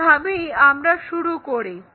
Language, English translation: Bengali, This is the way we begin with